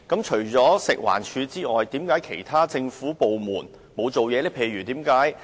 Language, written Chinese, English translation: Cantonese, 除食環署外，為何其他政府部門沒有行動呢？, Apart from FEHD why did the other government departments refrain from taking any action?